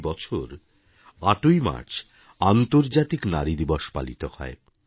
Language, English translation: Bengali, Every year on March 8, 'International Women's Day' is celebrated